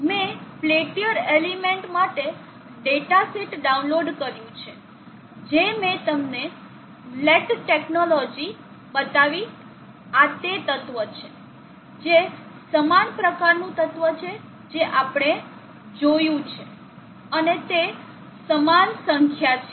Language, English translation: Gujarati, I have downloaded the datasheet for the peltier element that I showed you Laird technologies, this is the element that, a similar type of an element that we saw, and it is the same number